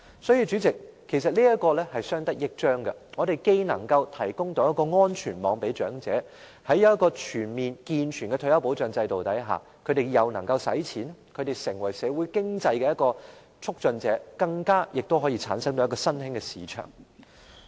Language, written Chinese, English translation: Cantonese, 因此，主席，其實這是相得益彰的，我們既能為長者提供安全網，而在全面和健全的退休保障制度下，長者又能夠消費，成為社會經濟的促進者，更可產生一個新興市場。, Therefore President this will actually benefit everyone as we can on the one hand provide a safety net for the elderly and on the other under a comprehensive and sound retirement protection system the elderly will have the means to spend and become a facilitator of society and the economy and better still create an emerging market too